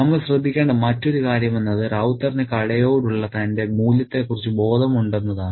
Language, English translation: Malayalam, And the other thing that we need to note is that Ravta is conscious of his value to the shop